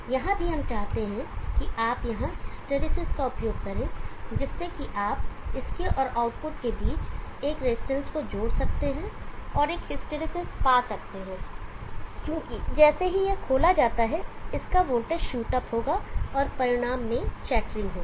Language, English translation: Hindi, Here also we would like you to use hysteresis resources here, so you can connect a resistance between this and the output and have a hysteresis resist because as soon as this is opened there will a shoot up of this voltage and chartering will result